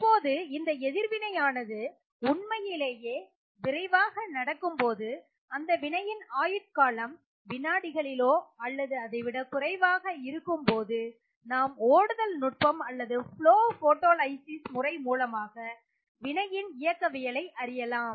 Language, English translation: Tamil, Now, if the reaction goes really really fast say you are looking at a reaction which has a lifetime of seconds or even lower than that we had looked at how you can use Flow techniques or Flash photolysis to study the reaction kinetics